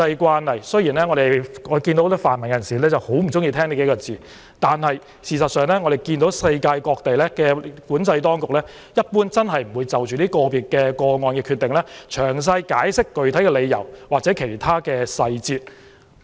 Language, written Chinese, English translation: Cantonese, 此外，雖然很多泛民人士很不喜歡這說法，但按照國際慣例，各地出入境管制當局一般不會就個別個案的決定，詳細解釋具體理由或其他細節。, Furthermore even if many pan - democrats dislike this saying but according to international practice the immigration control authorities of various places generally offer no specific reasons for or other details of decisions on individual cases